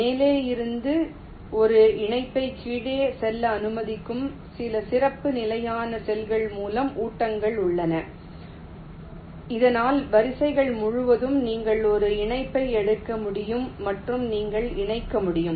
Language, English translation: Tamil, feed through are some special standard cells which allow a connection from top to go to the bottom so that across rows you can take a connection and you can connect